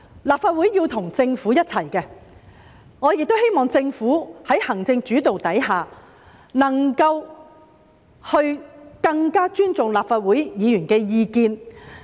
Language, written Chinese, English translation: Cantonese, 立法會是要與政府一起工作的，我亦希望政府在行政主導下，能夠更尊重立法會議員的意見。, The Legislative Council has to work side by side with the Government . I also hope that the Government under the executive - led system can be more respectful to the views of Legislative Council Members